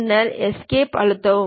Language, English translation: Tamil, Then press Escape